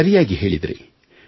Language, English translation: Kannada, You are right